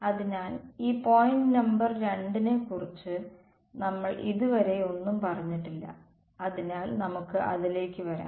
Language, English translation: Malayalam, So, far we have not said anything about this point number 2 ok, so, we will come to it